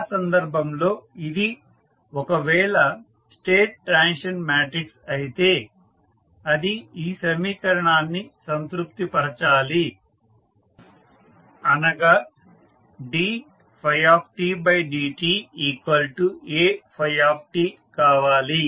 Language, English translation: Telugu, So, in that case if it is the state transition matrix it should satisfy the following equation, that is dy by dt is equal to A phi t